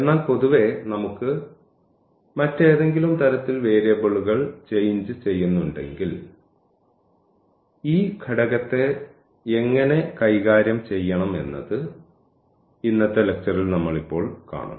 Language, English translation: Malayalam, But in general, if we have any other type of change of variables then what how to deal with this factor and we will see now in today’s lecture